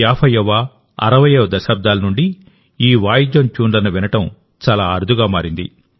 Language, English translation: Telugu, It had become rare to hear tunes of this instrument since the late 50's and 60's